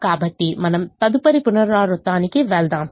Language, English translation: Telugu, so we proceed to the next iteration